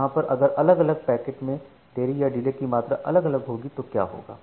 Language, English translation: Hindi, Now if different data packets has different amount of delay, what will happen